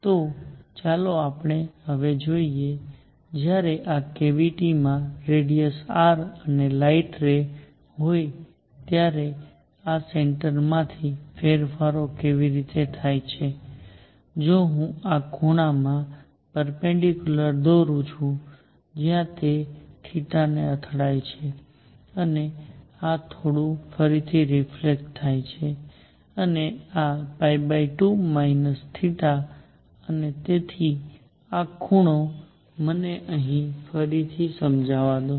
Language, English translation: Gujarati, So, let us see now; how these changes occur when this cavity has radius r and light ray is going such that from the centre, if I draw a perpendicular to this the angle where it hits is theta and this slightly reflects again and this is going to be pi by 2 minus theta and so this angle, let me make it here again cleanly